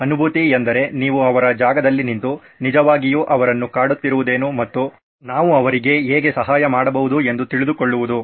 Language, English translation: Kannada, Empathise, you get into their shoes, you get into what is really bothering them and how we can help them